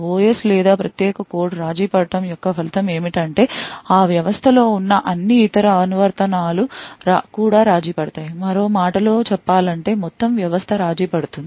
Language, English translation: Telugu, The result of the OS or the privileged code getting compromised is that all other applications present in that system will also, get compromised, in other word the entire system is compromised